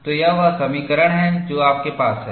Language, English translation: Hindi, So, this is the equation that you have